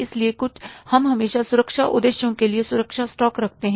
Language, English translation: Hindi, So, we keep always, for the safety purposes, we keep the safety stock